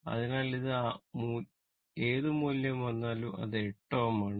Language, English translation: Malayalam, So, whatever value comes it is your 8 ohm it is given